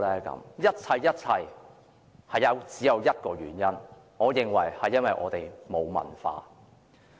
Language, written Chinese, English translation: Cantonese, 我認為這一切都源於一個原因，就是我們沒有文化。, How come it seems that we cannot make this happen? . In my view this is all because of one reason―we have no culture